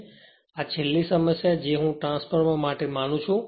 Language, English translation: Gujarati, So, your the this is the last problem I think for the transformer